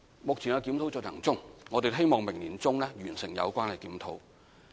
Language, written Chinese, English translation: Cantonese, 目前檢討正在進行中，我們希望明年年中可以完成。, The review is now underway and it is expected to be completed by mid - 2018